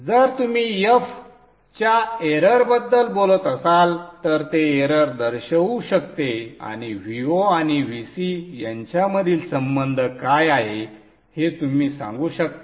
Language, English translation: Marathi, If you are talking of the error, the F can represent the error and you can say what is the relationship between the V0 and E, V0 and VC